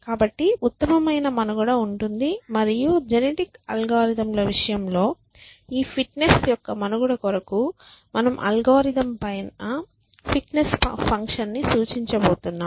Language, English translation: Telugu, So, survival of the fittest and when we say survival of the fittest at least in the case of genetic algorithms we are going to impose a fitness function on top of the algorithm